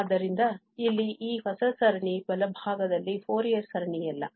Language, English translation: Kannada, So, this new series here on the right hand side, it is not a Fourier series